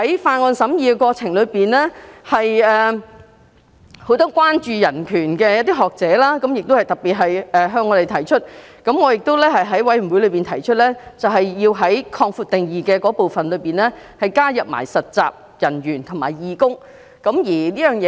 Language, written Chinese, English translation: Cantonese, 在審議《條例草案》的過程中，很多關注人權的學者都特別向我們提出這項關注，我亦在法案委員會中建議在"場所使用者"的定義加入實習人員和義工。, During the scrutiny of the Bill many scholars who are concerned about human rights raised this particular concern to us and I proposed in the Bills Committee that the definition of workplace participant should be extended to cover intern and volunteer